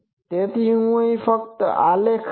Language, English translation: Gujarati, So, I will just these graphs